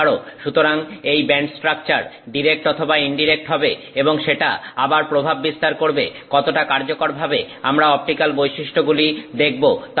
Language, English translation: Bengali, So, the band structure could be direct or indirect and that again impacts how effectively we see the optical property